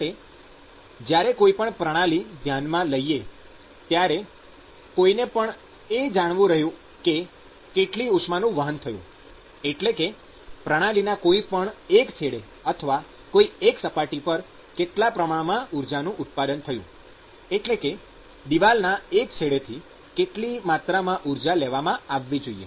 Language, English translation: Gujarati, So, when you are looking at a certain system, what somebody wants to know is how much heat is being transported, what is the amount of heat that the system would generate at one wall of or one end, and what is the amount of heat that I am supposed to take from that end of the wall